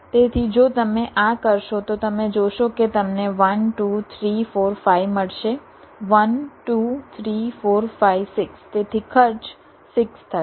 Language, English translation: Gujarati, so if you do this, you will see that you get one, two, three, four, five